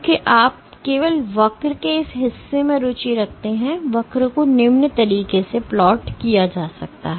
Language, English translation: Hindi, So, because you are only interested in this portion of the curve, the curve is plotted in the following way